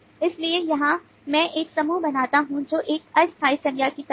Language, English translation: Hindi, so here i create a group which is kind of a temporal nouns